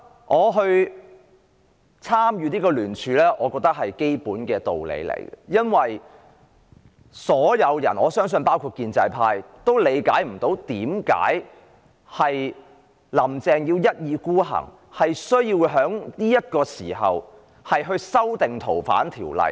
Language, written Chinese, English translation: Cantonese, 我當時參與聯署，我覺得是基本的道理，因為所有人——我相信包括建制派在內——都無法理解"林鄭"為何要一意孤行，必須在當時修訂《逃犯條例》。, I co - sponsored the motion because it makes sense basically . For the whole world―including the pro - establishment camp I believe―was confounded by Carrie LAMs obstinacy in pushing through the FOO amendment then